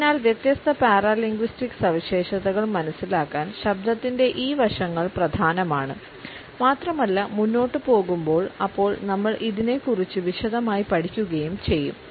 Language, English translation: Malayalam, So, these aspects of voice are important in order to understand different paralinguistic features and would be taken up in detail individually